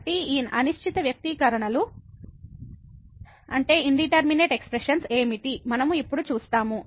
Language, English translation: Telugu, So, what are these indeterminate expressions; we will see now